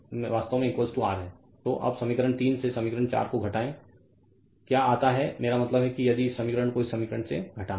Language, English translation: Hindi, So, now now what you do subtract equation 4 from equation 3, I mean this equation you subtract from this equation if you do